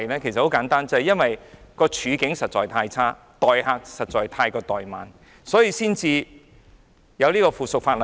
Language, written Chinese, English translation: Cantonese, 原因很簡單，正是因為環境實在太差，太過待慢遊客，所以才要修改附屬法例。, It is simple . It is simply because the waiting environment is too bad visitors are treated poorly and therefore the subsidiary legislation has to be amended